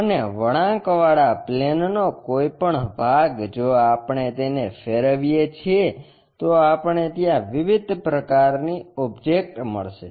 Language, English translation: Gujarati, And, any part of the curve plane if we revolve it, we will get different kind of objects